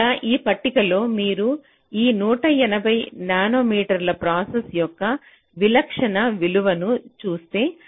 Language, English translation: Telugu, so here in this table you see the typical values for this one eighty nanometer process